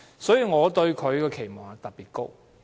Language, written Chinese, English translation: Cantonese, 因此，我對她的期望特別高。, Hence I have particularly high expectations on her